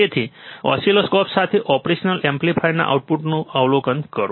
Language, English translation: Gujarati, So, with an oscilloscope observe the output of operational amplifier